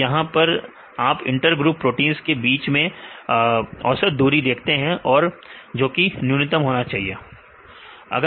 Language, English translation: Hindi, You can see the average distance right between the inter group proteins and this that should be minimum